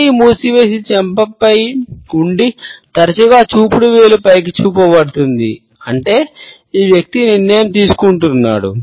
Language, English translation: Telugu, If the hand is closed and is resting on the cheek, often with the index finger pointing upwards; that means, that this person is making a decision